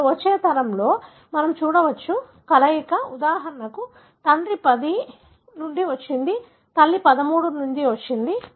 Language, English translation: Telugu, Now, we can see in the next generation that there is a combination, for example from father 10 has come, from mother 13 has come